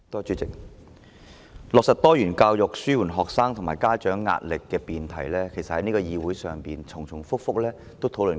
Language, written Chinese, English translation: Cantonese, 主席，"落實多元教育紓緩學生及家長壓力"的辯題，其實在這個議會已經多次重複討論。, President Implementing diversified education to alleviate the pressure on students and parents is actually a subject which has been discussed by the Council for a few times